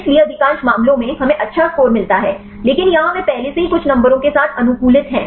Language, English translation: Hindi, So most of the cases, we get the good score, but here they already optimized with some numbers